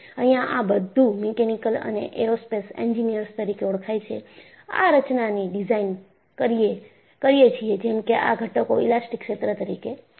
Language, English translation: Gujarati, And, as Mechanical and Aerospace Engineers, you all know, we design our structures, such that, the components remain within the elastic region